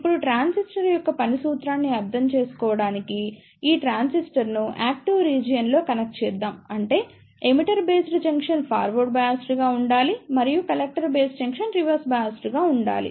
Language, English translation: Telugu, Now to understand the working principle of transistor, let us connect this transistor in active region; that means, the emitter based junction should be forward biased and the character based junction should be reverse biased